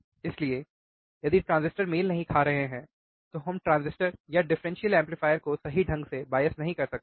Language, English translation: Hindi, So, if the transistors are not matching it does not match then we cannot bias the transistors or differential amplifier correctly